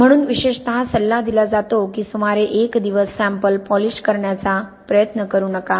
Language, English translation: Marathi, So, it is particularly advice to not try to polish sample for about one day